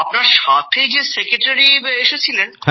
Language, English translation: Bengali, And the secretary who had come sir…